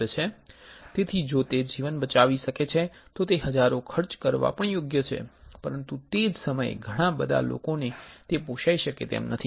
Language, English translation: Gujarati, So, if it can save a life, it is worth spending 1000s, but at the same time a lot of people cannot afford